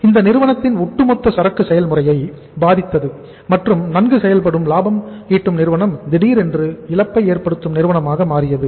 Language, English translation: Tamil, That it affected the overall inventory process of the company and a well functioning profitmaking organization suddenly became a lossmaking firm